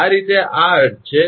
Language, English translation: Gujarati, This way this is the meaning